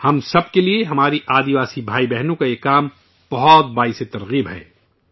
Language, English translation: Urdu, For all of us, these endeavours of our Adivasi brothers and sisters is a great inspiration